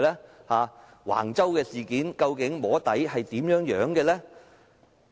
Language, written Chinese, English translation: Cantonese, 在橫洲事件上，究竟"摸底"是怎樣進行的呢？, In the Wang Chau incident how was soft lobbying done?